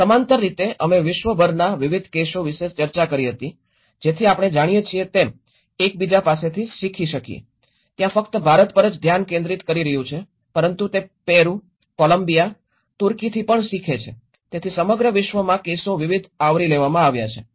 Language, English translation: Gujarati, And in parallelly we did discussed about a variety of cases across the globe so that we can learn from each other you know, it is not only focusing on the India but it has the learnings from Peru, Colombia, Turkey so across the globe we have covered a variety of cases